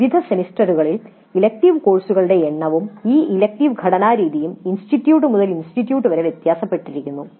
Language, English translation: Malayalam, The number of elective courses offered in different semesters and the way these electives are structured vary considerably from institute to institute